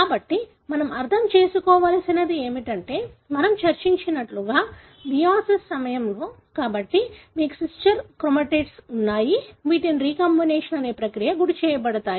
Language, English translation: Telugu, So, what we need to understand is that during meiosis as we discussed, so you have the sister chromatids which undergo a process called as recombination